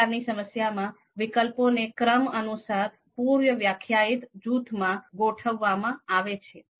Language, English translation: Gujarati, So in this particular problem, the alternatives, they are sorted sorted into ordered and predefined groups